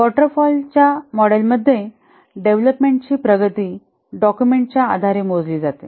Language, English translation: Marathi, In a waterfall model, the progress of the development is measured in terms of the documents produced